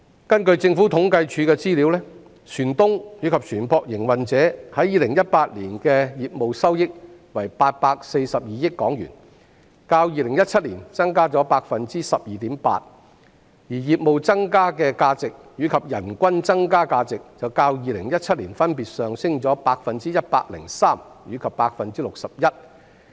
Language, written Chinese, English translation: Cantonese, 根據政府統計處的資料，船東及船舶營運者在2018年的業務收益為842億港元，較2017年增加 12.8%， 而業務增加的價值，以及人均增加價值便較2017年分別上升 103% 和 61%。, According to the information from the Census and Statistics Department the business receipts of shipowners and ship operators in 2018 were 84.2 billion an increase of 12.8 % when compared with 2017 . The value added of businesses and the value added per capita respectively increased by 103 % and 61 % when compared with 2017